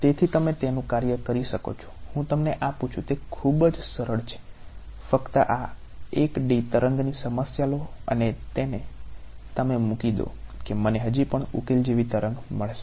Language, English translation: Gujarati, So, you can work it out I am just giving you it is very simple ones just put this out take a 1D wave problem put it in you will find that I still get a wave like solution ok